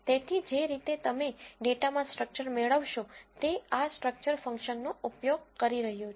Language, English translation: Gujarati, So, the way you get the structure of data in R is using this structure function